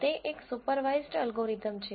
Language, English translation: Gujarati, It is a supervised learning algorithm